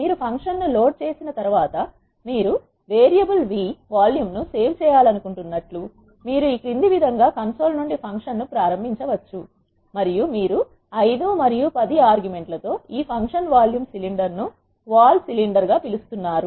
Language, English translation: Telugu, Once you load the function, you can invoke the function from the console as follows you want the volume to be saved in the variable v and then you are calling this function vol cylinder with the arguments 5 and 10